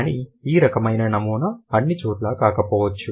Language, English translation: Telugu, But these kind of a pattern may not be universal